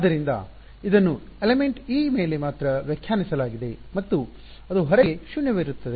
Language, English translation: Kannada, So, this is defined only over element e and it is zero outside